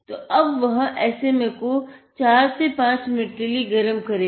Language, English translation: Hindi, So, he has fixed the SMA and now for 4 to 5 minutes just heat it